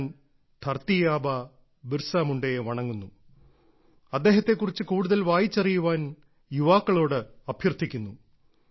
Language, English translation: Malayalam, I bow to 'Dharti Aaba' Birsa Munda and urge the youth to read more about him